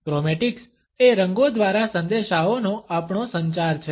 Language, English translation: Gujarati, Chromatics is our communication of messages through colors